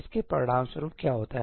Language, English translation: Hindi, What happens as a result of this